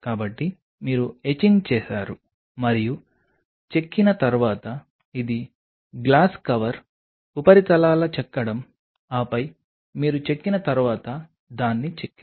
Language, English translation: Telugu, So, you did the etching and after the etching this is the etching of the glass cover surfaces then what you do you etched it after etching